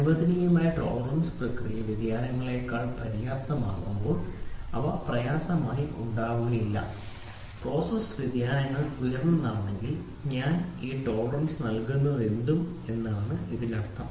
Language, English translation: Malayalam, When the tolerance allowed is sufficiently greater than the process variations no difficultly arises; that means to say the tolerance whatever I give this tolerance if it is higher than the process variation